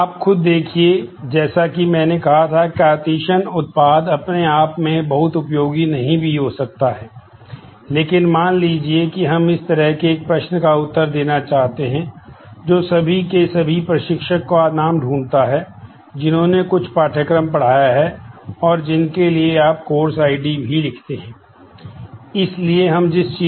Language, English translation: Hindi, Know by itself as we had said that, by itself the Cartesian product may not be very useful, but suppose we want to answer this kind of a query, that find all names of all instructors who have taught some course and for those you also write the course id